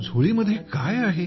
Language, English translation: Marathi, Say, What's in the bag